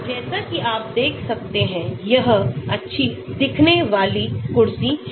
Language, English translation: Hindi, As you can see this is nice looking chair